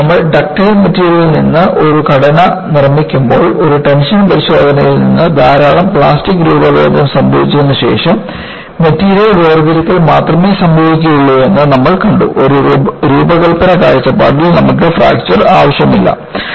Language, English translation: Malayalam, Because when you make a structure out of ductile material, we have seen from a tension test, after lot of plastic deformation only the material separation occurs; because from a design point of view, we do not want fracture